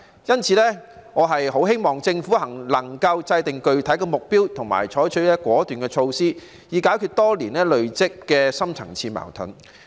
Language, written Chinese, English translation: Cantonese, 因此，我很希望政府能夠制訂具體的目標，以及採取果斷的措施，以解決多年累積的深層次矛盾。, Therefore I really hope that the Government can establish specific targets and take decisive measures to resolve the long - standing deep - seated conflicts